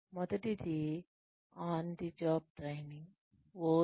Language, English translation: Telugu, The first one is, on the job training, OJT